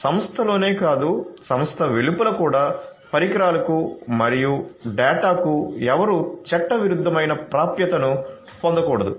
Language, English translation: Telugu, So, not only within the organization, but also outside the organization also nobody should get illegitimate access to the devices and the data